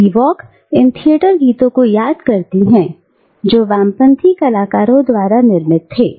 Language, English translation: Hindi, So, Spivak also remembers these theatres and these songs, produced by leftist artists